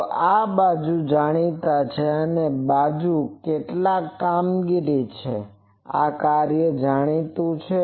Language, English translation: Gujarati, So, this side is known, this side is some operations, this function is known